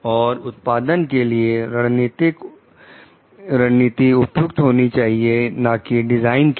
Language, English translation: Hindi, And the strategy relevant for it for the product it is not the design per se